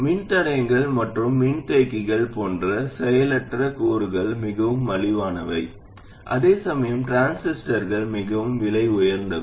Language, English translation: Tamil, There, typically passive components like resistors and capacitors are very inexpensive, whereas transistors are a lot more expensive